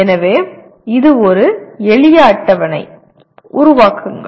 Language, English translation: Tamil, So it is a simple table, create